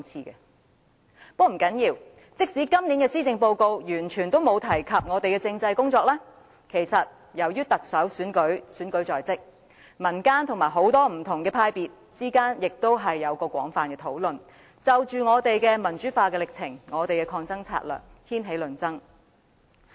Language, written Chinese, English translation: Cantonese, 但不要緊，即使今年的施政報告完全沒有提及政制方面的工作，由於特首選舉在即，民間與不同派別之間也有廣泛討論，就着民主化進程和抗爭策略掀起論爭。, It does not matter that this years Policy Address did not propose any measure concerning constitutional development because as the Chief Executive Election is approaching there are extensive discussions in the community and among different political parties which have sparked off debates about democratization and tactics for staging protests